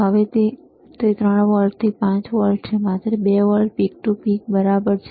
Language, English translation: Gujarati, Now, the it is from 3 volts to 5 volts, so, only 2 volts peak to peak ok